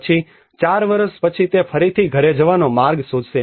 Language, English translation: Gujarati, Then after 4 years he will again find his way back to home